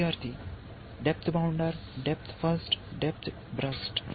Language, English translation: Telugu, Student: Depth bounder, depth first, depth burst